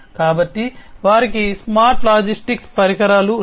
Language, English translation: Telugu, So, they have the smart logistics solutions